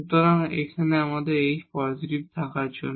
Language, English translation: Bengali, So, then we have that for k positive